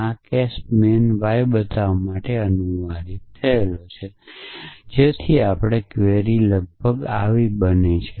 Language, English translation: Gujarati, So, this case translated to show man y so our query is about